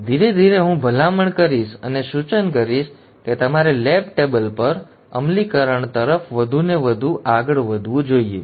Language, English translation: Gujarati, So gradually I will recommend and suggest that you should go more and more towards implementing on a lab table